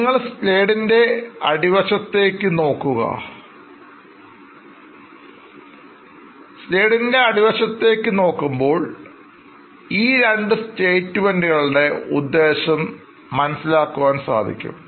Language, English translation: Malayalam, If you look at the bottom part of the slide, it is sort of trying to tell the purpose of these two statements